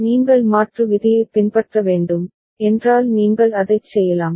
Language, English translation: Tamil, And if you just need to follow the conversion rule and you can do it